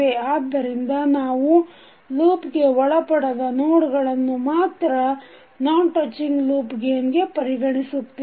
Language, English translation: Kannada, So we will only consider the nodes which are not, the loops which do not have common notes for non touching loop gain